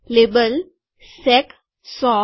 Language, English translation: Gujarati, Label, sec 100